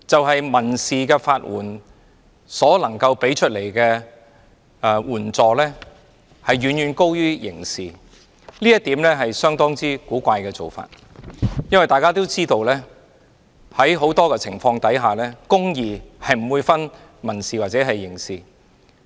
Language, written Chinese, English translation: Cantonese, 他說民事法援提供的援助遠高於刑事法援，這是相當古怪的做法，因為在很多情況下，公義是不會分民事或刑事的。, He said that the amount of legal aid granted for civil litigation has been far higher than that for criminal litigation . The practice is strange because justice will not in most cases differentiate between civil and criminal